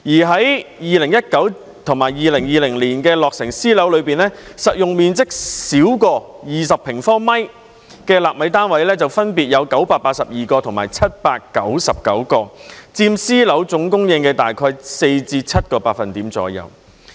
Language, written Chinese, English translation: Cantonese, 在2019年和2020年落成的私樓中，實用面積小於20平方米的"納米單位"分別有982個和799個，佔私樓總供應約4至7個百分點。, Among the private flats completed in 2019 and 2020 there are respectively 982 and 799 nano flats with a saleable area of less than 20 sq m accounting for about 4 % to 7 % of the total supply of private flats